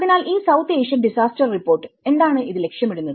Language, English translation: Malayalam, So, this report the South Asian Disaster Report, what does it aim